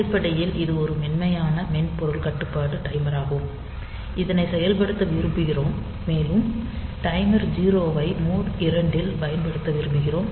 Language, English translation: Tamil, So, basically it is a soft software controlled timer that we want to operate, and we want to use this timer 0 in mode 2